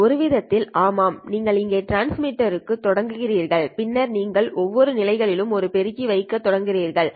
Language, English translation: Tamil, In a sense, yes, it does make sense because you started off with the transmitter here and then you started placing an amplifier at each position